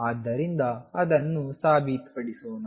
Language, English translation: Kannada, So, let us prove that